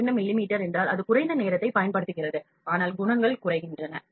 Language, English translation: Tamil, 2 mm means that it consumes less amount of time, but the qualities goes down